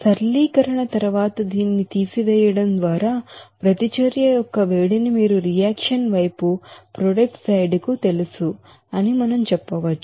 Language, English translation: Telugu, So after simplification, we can say that the heat of reaction just by subtracting this you know product side to the reactant side